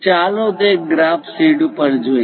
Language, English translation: Gujarati, Let us look at that on the graph sheet